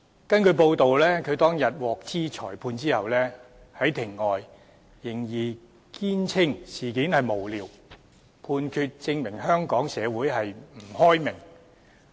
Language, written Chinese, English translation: Cantonese, 根據報道，他當天獲悉裁決後，在庭外仍堅稱事件無聊，判決證明香港社會不開明。, According to reports when he learnt about the verdict on that day he maintained outside the Court that the case was pointless and the judgment proved that Hong Kong society was not open and liberal